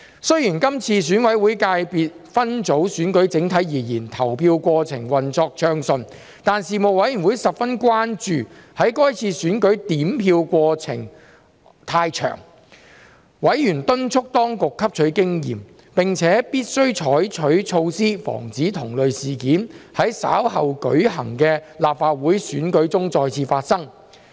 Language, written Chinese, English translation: Cantonese, 雖然這次選委會界別分組選舉整體而言，投票過程運作暢順，但事務委員會十分關注在該次選舉點票過程冗長，委員敦促當局汲取經驗，並且必須採取措施防止同類事件在稍後舉行的立法會選舉中再次發生。, Although the polling process of the Election was generally smooth the Panel expressed grave concern about its lengthy vote counting process and urged the Administration to learn from the experience and take measures to prevent the recurrence of similar incidents in the coming Legislative Council Election